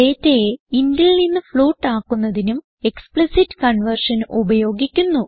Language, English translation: Malayalam, Explicit conversion can also be used to convert data from int to float